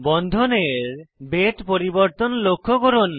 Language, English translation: Bengali, Note the change in the thickness of the bonds